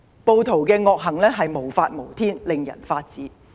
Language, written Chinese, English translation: Cantonese, 暴徒的惡行無法無天，令人髮指。, The rioters evil acts are total defiance of the law utterly contemptuous